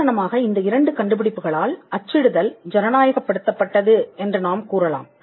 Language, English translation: Tamil, For instance, you can say that printing got democratized with these two inventions